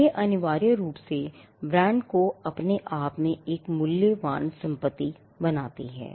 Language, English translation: Hindi, This essentially made the brands a valuable asset in itself